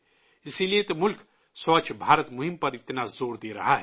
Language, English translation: Urdu, That is why the country is giving so much emphasis on Swachh BharatAbhiyan